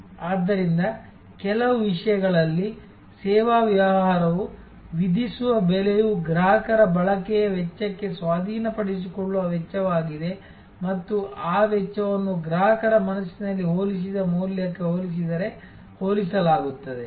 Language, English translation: Kannada, So, in some respect therefore, the price charged by the service business is a cost of acquisition to the cost of use for the consumer and that cost is compared in customers mind with respect to the value perceived